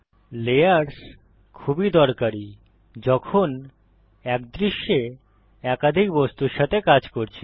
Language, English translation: Bengali, Layers is very useful when working with mutiple objects in one scene